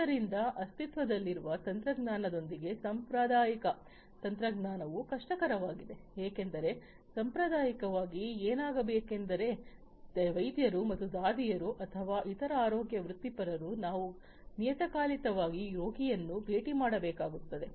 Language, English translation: Kannada, So, with the existing technology the traditional technology it is difficult, because traditionally what has to happen is the doctors and nurses or other healthcare professionals we will have to periodically visit the patient and then monitor the health of the patient that is one